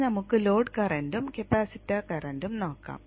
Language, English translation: Malayalam, Now let us look at the load current and the capacitor currents